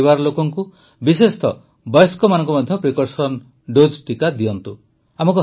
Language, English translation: Odia, Make your family members, especially the elderly, take a precautionary dose